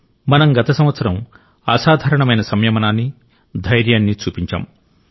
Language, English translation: Telugu, Last year, we displayed exemplary patience and courage